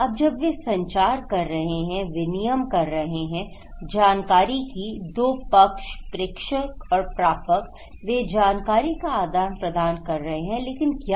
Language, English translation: Hindi, Now, when they are communicating, exchanging informations, two parties, senders and receivers, they are exchanging information but information about what, what kind of information